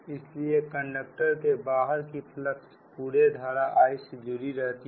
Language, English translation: Hindi, right, so the flux outside the conductors linked the entire current i